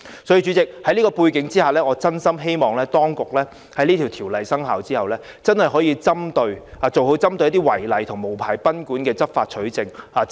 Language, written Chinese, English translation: Cantonese, 主席，在這個背景下，我真心希望當局在新條例生效後，可以做好一些針對違例和無牌經營賓館的執法取證工作。, President against this backdrop I sincerely hope that upon commencement of the new legislation the authorities will do a better job in law enforcement and evidence collection against guesthouses operating illegally and without a license